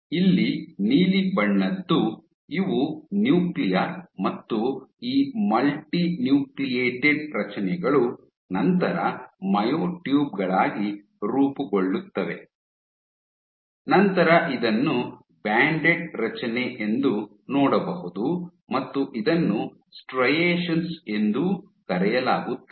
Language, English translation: Kannada, Here by blue these are the Nuclear and then after found these multinucleated structures, these guys differentiate to form myotubes, where you can see the banded structure also referred to as striations